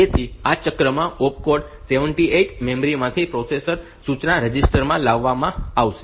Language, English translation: Gujarati, So, in this cycle the opcode 78 will be brought from the memory to the processor, the instruction register